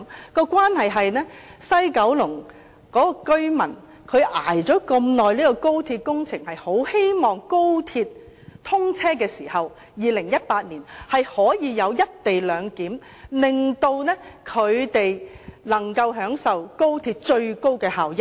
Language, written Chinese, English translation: Cantonese, 當中的關係是，西九龍居民長期忍受高鐵工程施工的影響，是非常希望高鐵2018年通車時，可實行"一地兩檢"，令他們能夠享受高鐵最高效益。, I mean to say is that having put up with the impact of the XRL works for such a long time Kowloon West residents all hope that the co - location arrangement can be implemented when the XRL inaugurates in 2018 so that they can benefit from the maximum efficiency of the XRL